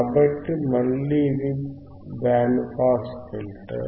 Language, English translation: Telugu, So, again this is band pass filter